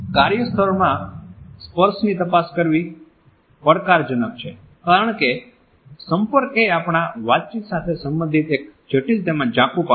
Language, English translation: Gujarati, Examining touch in a workplace is challenging as touch is a complex as well as fuzzy aspect related with our communication